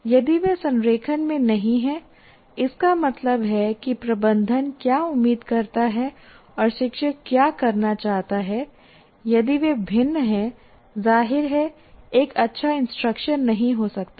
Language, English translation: Hindi, If they are not in alignment, that means what the management expects and what the teacher wants to do, if they are at variance, obviously a good instruction may not take place